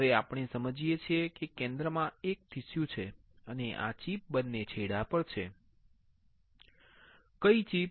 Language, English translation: Gujarati, Now, we understand that there is a tissue in the center and this chip is on the both ends, which chip